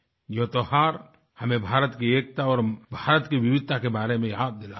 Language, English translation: Hindi, These festivals remind us of India's unity as well as its diversity